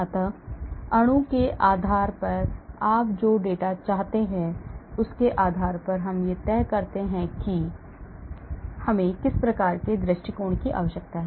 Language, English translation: Hindi, so depending upon the amount of data you want depending upon the size of the molecule we decide on what type of approach we need to do